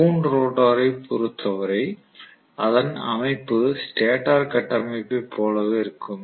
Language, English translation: Tamil, Fine, as far as the wound rotor is concerned the structure is very similar to the stator structure